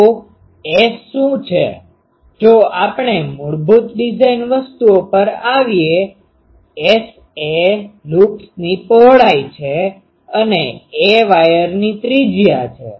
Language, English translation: Gujarati, So, what is S; if we come to the basic design things, S is the loops width and a is the radius of the wire